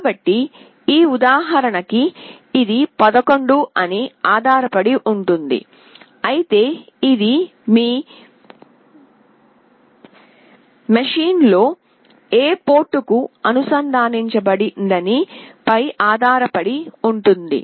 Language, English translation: Telugu, So, it depends it is 11 for this example, but it depends on to which port it is connected in your machine